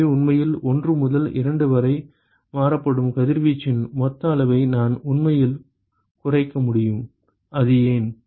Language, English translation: Tamil, So, that way I can actually cut down the total amount of radiation that is actually transferred from 1 to 2, why is that